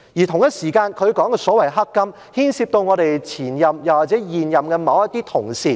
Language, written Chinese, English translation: Cantonese, 同一時間，她所說的所謂"黑金"，牽涉到前任或現任某些同事。, At the same time the corrupt political donations that she talked about involved some of her former or current colleagues